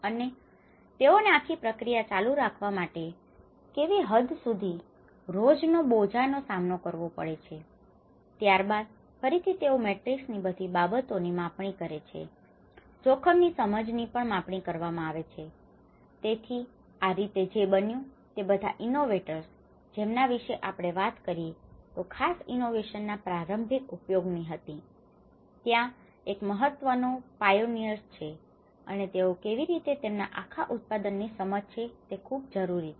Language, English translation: Gujarati, And the daily fetching burden to what extent they have to carry on this whole process, and then again they mapped everything in this kind of matrix, the perception; the risk perception has been also have been mapped so, in that way what happened was this whole innovators as we talked about the very initial uses of that particular innovation, there one of the important pioneers and they are matters a lot that how this whole their understanding of the product